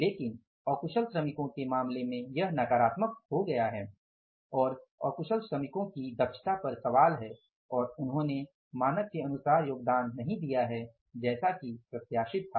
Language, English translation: Hindi, But in case of the unskilled workers this has become negative and the efficiency of the unskilled workers is at question and they have not contributed as standardized as was anticipated